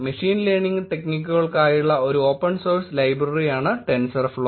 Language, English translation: Malayalam, Tensorflow is a open source library for machine learning techniques